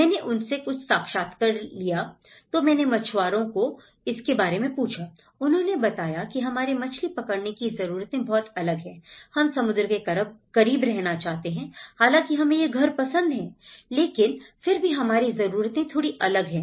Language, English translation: Hindi, I used to take some interviews with them and then I asked a fisherman why, they said our fishing needs are very different, we want to stay close to the seashore though we like a particular house but still our needs are little different